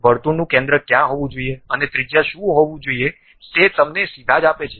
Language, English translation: Gujarati, Straight away gives you where should be the center of the circle and also what should be that radius